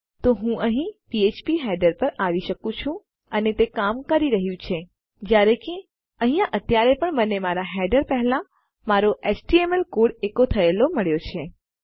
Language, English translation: Gujarati, So I can come here to phpheader and it works, even though I have still got my html code echoed here before my header